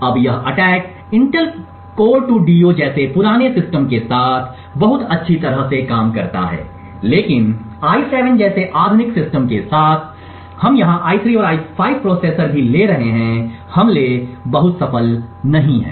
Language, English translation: Hindi, Now this attack works very well with the older systems like the Intel Core 2 Duo and so on but with modern systems like the i7 like we are going to have here as well as the i3 and i5 processors the attacks are not very successful